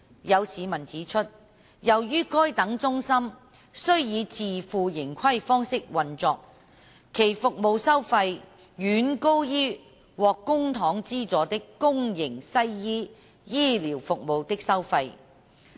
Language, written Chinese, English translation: Cantonese, 有市民指出，由於該等中心需以自負盈虧方式運作，其服務收費遠高於獲公帑資助的公營西醫醫療服務的收費。, Some members of the public have pointed out that as such centres have to operate on a self - financing basis their service charges are far higher than those for the publicly funded western medicine services in the public sector